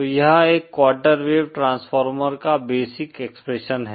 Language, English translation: Hindi, So this is the basic expression for a quarter wave transformer